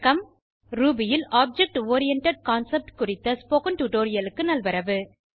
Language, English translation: Tamil, Welcome to this spoken tutorial on Object Oriented Concept in Ruby